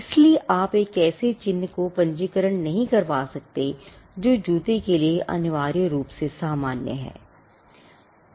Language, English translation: Hindi, So, you cannot have a registration of a shape as a mark which is essentially to which is common for footwear